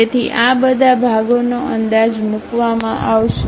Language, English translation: Gujarati, So, all these parts will be projected